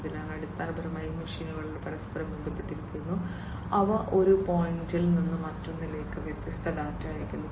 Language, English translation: Malayalam, So, basically these machines are also interconnected, and they send different data from one point to another